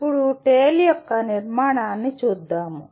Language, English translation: Telugu, Now, let us look at the structure of the TALE